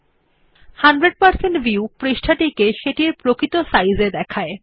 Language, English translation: Bengali, 100% view will display the page in its actual size